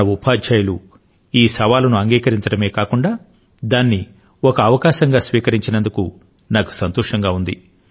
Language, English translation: Telugu, I am happy that not only have our teachers accepted this challenge but also turned it into an opportunity